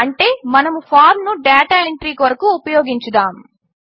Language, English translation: Telugu, Meaning we will start using the form for data entry